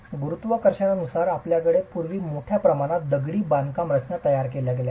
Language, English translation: Marathi, Under gravity you have massive masonry structures constructed in the past